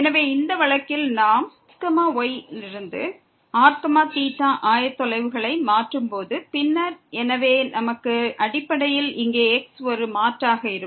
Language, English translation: Tamil, So, in this case when we change the coordinates from to theta, then will be a so we basically substitute here